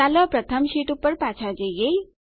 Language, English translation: Gujarati, Lets go back to the first sheet